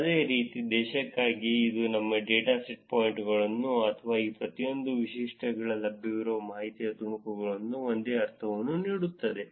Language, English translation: Kannada, Similarly, for the country, so that is giving you a sense of in the data points or the pieces of information that is available for each of these features